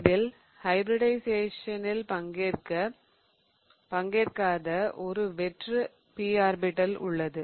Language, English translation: Tamil, Remember there were those p orbitals that did not take part in hybridization